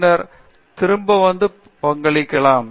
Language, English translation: Tamil, And, then come back and contribute